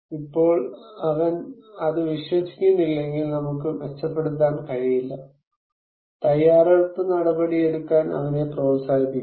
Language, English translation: Malayalam, Now, if he does not believe it, we cannot improve; encourage him to take preparedness action